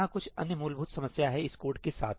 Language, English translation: Hindi, There is some other fundamental problem with this code